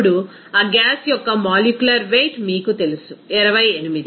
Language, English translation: Telugu, Now the molecular weight of that gas is you know 28